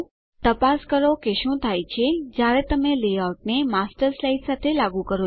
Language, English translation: Gujarati, Check what happens when you apply a Layout to a Master slide